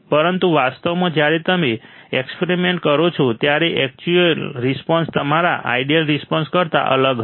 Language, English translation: Gujarati, But in reality, when you perform the experiment, the actual response would be different than your ideal response